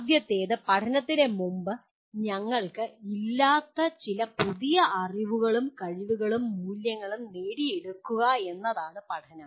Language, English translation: Malayalam, First thing is learning is acquiring some new knowledge, skills and values which we did not have prior to learning